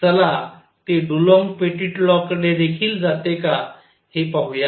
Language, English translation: Marathi, Let us see if it leads to Dulong Petit law also